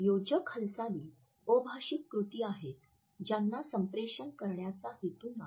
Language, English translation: Marathi, Adaptors are nonverbal acts that are not intended to communicate